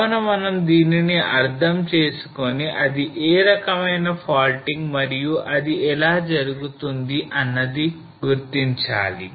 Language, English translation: Telugu, So we need to also understand and identify that what is the type of faulting and how it will move